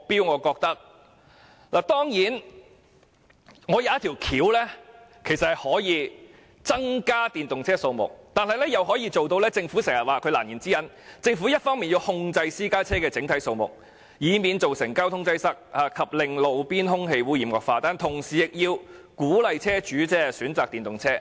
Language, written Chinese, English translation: Cantonese, 我想到一種方法，既可以增加電動車，亦可以解決政府的難言之忍：一方面要控制私家車的整體數目，以免造成交通擠塞及令路邊空氣污染惡化，但同時亦要鼓勵車主選擇電動車。, I can think of a way to increase the number of EVs and resolve the difficulty faced by the Government While it must contain the overall number of private cars to avoid the deterioration of traffic congestion and roadside air quality it must also encourage car owners to choose EVs